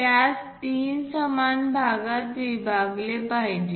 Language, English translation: Marathi, We have to divide that into three equal parts